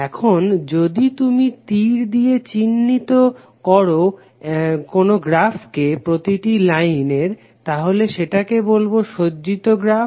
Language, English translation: Bengali, Now if you add the reference directions by an arrow for each of the lines of the graph then it is called as oriented graph